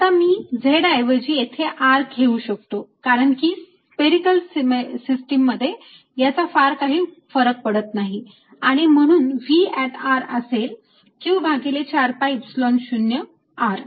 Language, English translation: Marathi, now i can replace z by r, because it doesn't really matter spherically system, and therefore v at r is nothing but q over four pi epsilon zero r